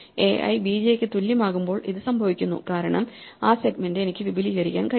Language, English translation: Malayalam, this is the case when a i is equal to b j because that segment i can extend by